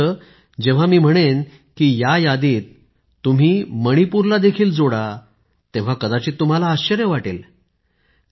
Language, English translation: Marathi, But if I ask you to add the name of Manipur too to this list you will probably be filled with surprise